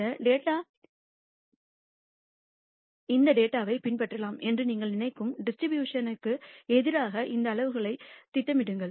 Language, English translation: Tamil, And then plot these quantiles against the distribution which you think this data might follow